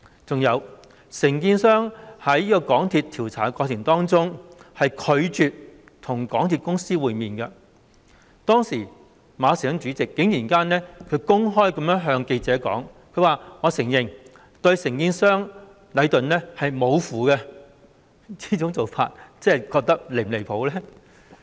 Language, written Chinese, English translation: Cantonese, 還有，承建商在港鐵公司調查的過程中拒絕與港鐵公司會面，但是，港鐵公司主席馬時亨竟然公開向記者承認對承建商禮頓"無符"，這樣又是否離譜呢？, Furthermore the contractor refused to meet MTRCL during the latters investigation but the Chairman of MTRCL Frederick MA actually admitted to reporters that he was at his wits end with the contractor Leighton